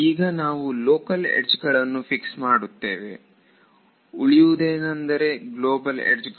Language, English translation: Kannada, So, we will fix the local edges what remains is global edges right